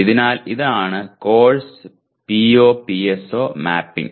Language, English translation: Malayalam, So this is course PO/PSO mapping